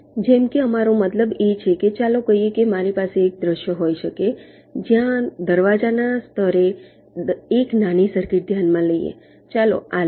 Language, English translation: Gujarati, what we mean is that, let say, i can have a scenario where lets consider a small circuit at the level of the gates, lets take this